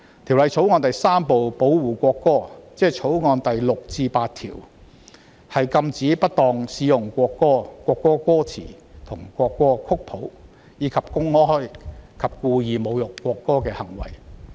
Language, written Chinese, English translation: Cantonese, 《條例草案》第3部保護國歌，即《條例草案》第6至8條，禁止不當使用國歌、國歌歌詞或國歌曲譜，以及公開及故意侮辱國歌的行為。, Part 3 of the Bill―Protection of National Anthem prohibits the misuse of the national anthem or its lyrics or score as well as the act of publicly and intentionally insulting the national anthem